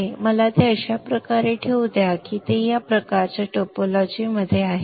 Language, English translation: Marathi, Further let me also position it such that it is in this kind of a topology